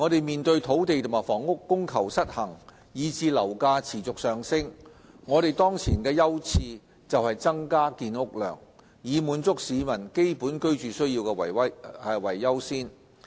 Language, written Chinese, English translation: Cantonese, 面對土地和房屋供求失衡以至樓價持續上升，我們當前的優次是增加建屋量，以滿足市民基本居住需要為優先。, In view of the imbalance in supply and demand for land and housing and given the fact that property prices are soaring continuously our current priority is accorded to increasing housing production to meet the basic accommodation needs of the public